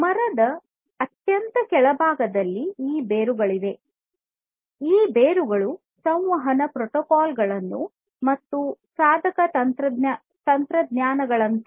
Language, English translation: Kannada, At the very bottom of the tree are these roots; these roots are like communication protocols and device technologies communication device technologies